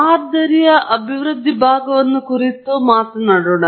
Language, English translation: Kannada, Let me quickly talk about the model development part